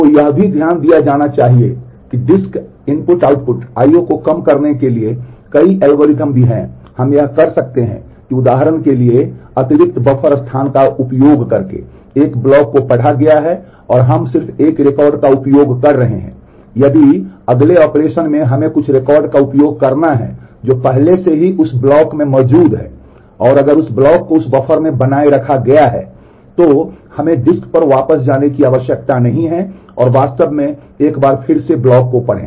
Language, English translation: Hindi, So, there are also it has to be noted that there are also several algorithms to reduce the disk I/O we can do that by using extra buffer space for example, one block has been read in and we are just using one record of that if in the next operation we have to use some record which is already existing in that block and if that block is maintained in that buffer then we do not need to go back to the disk and actually read the block once again